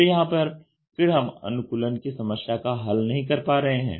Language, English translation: Hindi, So, here again the problem of customization is not coming into effect